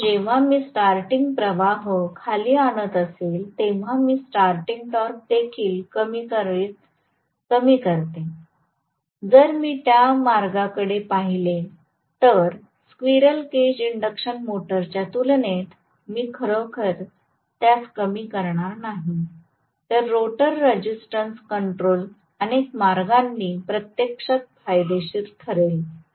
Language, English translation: Marathi, So, when I am bringing down the starting current am I reducing the starting torque also drastically, if I look at it that way I would not be really reducing it drastically as compared to squirrel cage induction motor right, so rotor resistance control actually will be advantageous in several ways